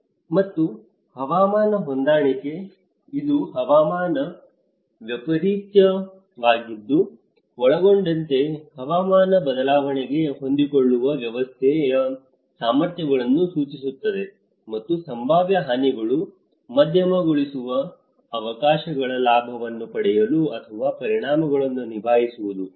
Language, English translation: Kannada, And climate adaptation; it refers to the abilities of a system to adjust to a climate change including climate variability and extremes to moderate potential damage, to take advantage of opportunities, or to cope up with the consequences